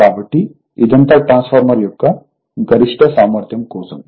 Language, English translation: Telugu, So, this is the all for maximum efficiency of a transformer